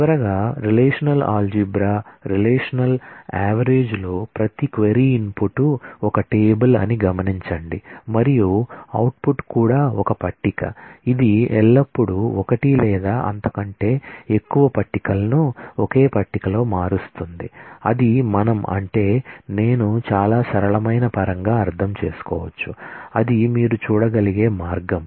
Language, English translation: Telugu, And the output is also a table, it is always manipulating one or more tables into a single table that is what we are, I mean in very simple terms that is the way you can look at it